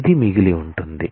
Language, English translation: Telugu, This is what will be remaining